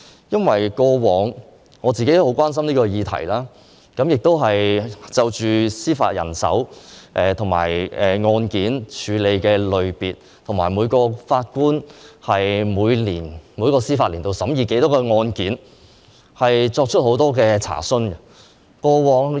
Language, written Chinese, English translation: Cantonese, 因為我過往也很關心這項議題，亦曾就司法人手及處理的案件類別，以及每名法官在每個司法年度審議多少宗案件，作出很多查詢。, It is because I have always been concerned about this topic and have raised a lot of enquiries about the judicial manpower the categories of cases handled and the number of cases heard by each judge in each legal year